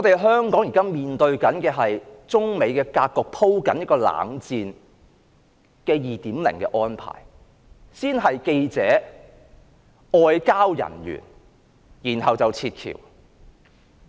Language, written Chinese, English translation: Cantonese, 香港現時面對中美鋪排"冷戰 2.0" 的格局，先是驅逐記者、外交人員，然後是撤僑。, Hong Kong now faces a situation in which China and the United States are paving the way for Cold War 2.0 . Journalists and diplomats are first expelled to be followed by the evacuation of expatriates